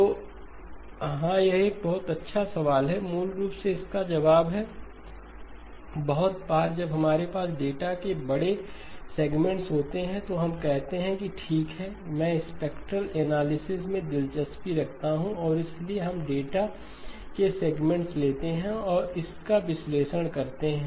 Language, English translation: Hindi, So yes the it is a very good question, basically the answer to that is, very often when we have large segments of data we say that okay I am interested in spectral analysis and so we take segments of data and analyse it